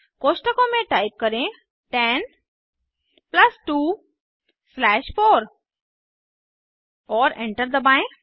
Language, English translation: Hindi, Type Within brackets 10 plus 2 slash 4 and Press Enter We get the answer as 3